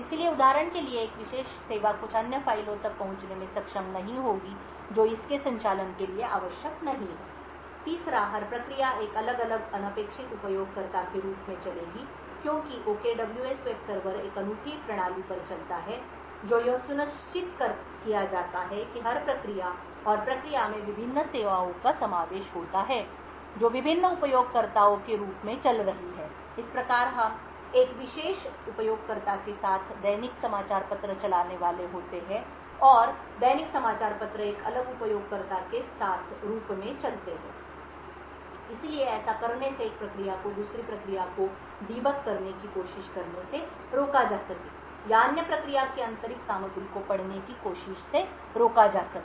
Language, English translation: Hindi, So a particular service for example would not be able to access some other file which is not required for its operation, third, every process would run as a different unprivileged user since the OKWS web server runs over a unique system, what is ensured is that every process and the process comprises of the various services would be running as different users thus we would be having a search engine run as a particular user as well as the daily newspaper run as a different user so by doing this we are able to further isolate one process from another, this is especially useful so as to prevent one process trying to debug the other process or trying to read the internal contents of the other process and so on